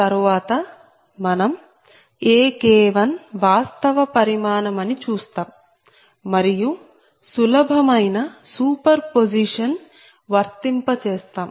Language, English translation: Telugu, later we will see that ak one actually it is a real quantity and i will apply a simple super position